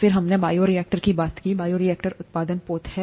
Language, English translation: Hindi, Then we talked of bioreactors; bioreactors are the production vessels